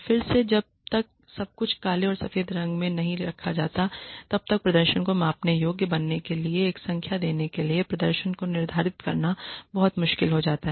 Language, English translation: Hindi, Again unless everything is laid in black and white it becomes very difficult to quantify the performance to give a number to make the performance measurable